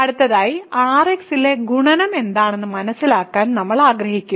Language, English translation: Malayalam, So, next we want to understand what is multiplication on R[x]